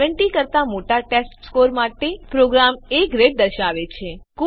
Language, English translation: Gujarati, The program will display A grade for the testScore greater than 70